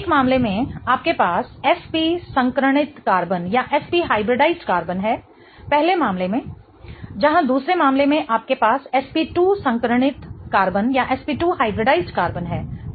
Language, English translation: Hindi, In one case you have SP hybridized carbon in the first case, whereas in the second case you have SP2 hybridized carbon, right